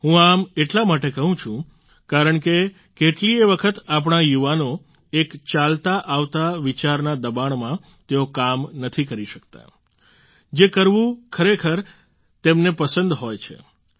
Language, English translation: Gujarati, I say so since often due to pressures of traditional thinking our youth are not able to do what they really like